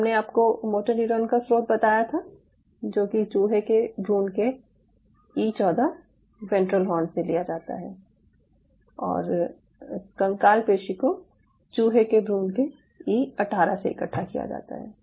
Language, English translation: Hindi, and i told you the source of motor neuron, which is from the e fourteen ventral horn of the rat embryo and skeletal muscle you are collecting from e eighteen rat fetus